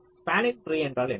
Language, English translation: Tamil, one possible spanning tree can be